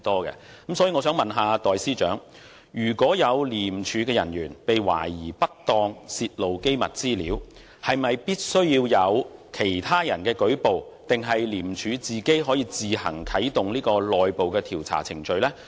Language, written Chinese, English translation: Cantonese, 因此，我想問代司長，如果有廉署人員被懷疑不當泄露機密資料，是否必須由其他人舉報，還是廉署可自行啟動內部調查程序？, Can I therefore ask the Acting Chief Secretary for Administration to tell us whether ICAC can automatically activate its internal investigation procedure in case any ICAC staff are suspected of any improper disclosure of confidential information? . Or must ICAC wait until it receives a complaint?